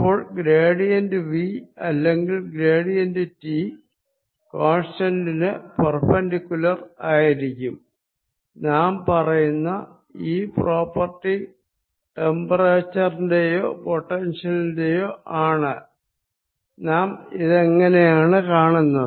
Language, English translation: Malayalam, then the gradient of v or gradient of t is going to be perpendicular to the constant property we are talking about: temperature or potential surface